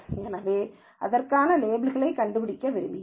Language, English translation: Tamil, So, I want to find out a label for it